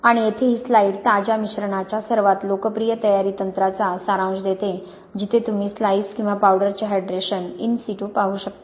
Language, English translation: Marathi, And this slide here just summarizes the most popular preparation techniques of fresh slice, sorry fresh mix where you can look at the hydration in situ of a slice or a powder